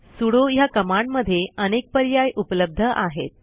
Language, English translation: Marathi, The sudo command has many options